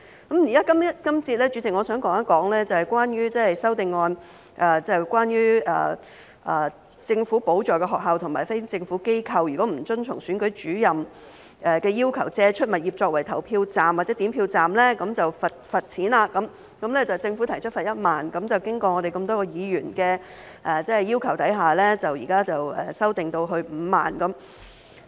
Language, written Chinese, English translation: Cantonese, 代理主席，這節我想談的修正案，涉及政府補助的學校和非政府機構如果不遵從總選舉事務主任的要求借出物業作為投票站或點票站便罰款，政府提出罰款1萬元，但經過我們多位議員的要求，現在修訂至5萬元。, Deputy Chairman the amendments I would like to talk about in this session involve the penalty for publicly - funded schools and non - governmental organizations for failing to comply with the requirement of the Chief Electoral Officer to make available their premises for use as polling stations or counting stations . The Government proposed a fine of 10,000 but at the request of many Members the fine has been revised to 50,000